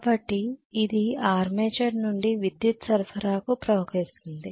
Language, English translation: Telugu, So this flows from armature to the power supply, am I right